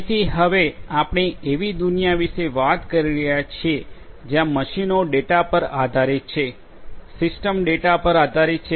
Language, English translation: Gujarati, So, now we are talking about a world where machines are data driven, systems are data driven